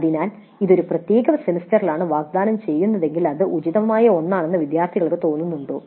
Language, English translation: Malayalam, So if it is offered in a particular semester do the students feel that that is an appropriate one